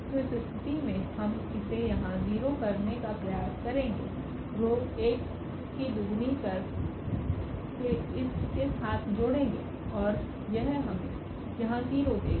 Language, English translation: Hindi, So, in this case we will try to set this to 0 here with two times the row 1 we will add and that will give us 0 here